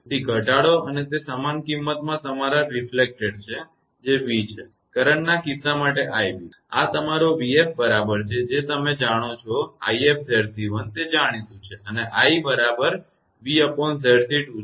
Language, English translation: Gujarati, So, decrease and that was same magnitude as your reflected one that is v; for the current case i b that v is equal to Z c 2; i or sorry this your v f is equal to you know i f into Z c 1; that is known and i is equal to v by Z c 2